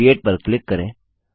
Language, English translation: Hindi, Click on the Create button